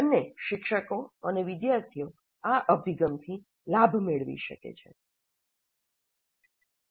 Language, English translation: Gujarati, Both faculty and students can benefit from this approach